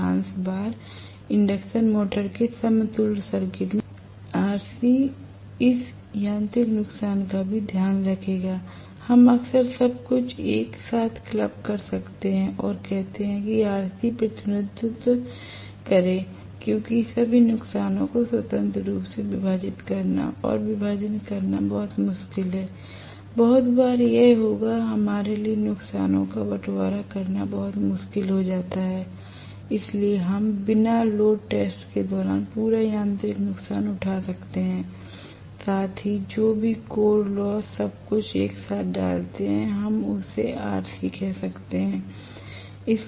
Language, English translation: Hindi, Most of the times in induction motor equivalent circuit RC would also take care of this mechanical losses very often we might club everything together and say let RC represented, because it is very difficult to bifurcate or you know partition all the losses independently, very often it will become very difficult for us to partition the losses, so we might take the complete mechanical losses during no load test plus whatever is the core losses everything put together we might call that as RC right